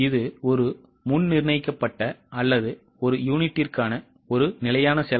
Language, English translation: Tamil, Now, it is a predetermined or a standard cost per unit